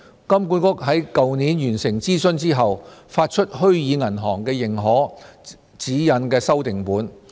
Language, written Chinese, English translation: Cantonese, 金管局在去年完成諮詢後，發出《虛擬銀行的認可》指引修訂本。, HKMA published a revised Guideline on Authorization of Virtual Banks last year following the completion of a public consultation